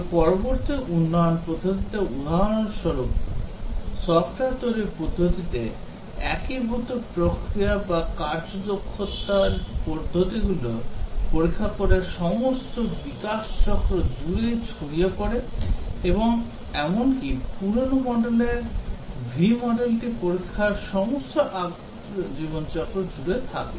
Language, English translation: Bengali, But in the latter development methodology, software development methodology for example, the unified process or the agile methods, testing is spread all over the development cycle and even the older v model of development has testing spread all over the life cycle